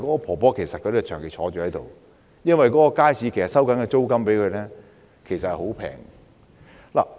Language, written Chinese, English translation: Cantonese, 婆婆是長期坐在檔口的，而街市向她收取的租金其實十分便宜。, The old lady sits at the stall all the time and she is charged a very cheap rent for the stall in the market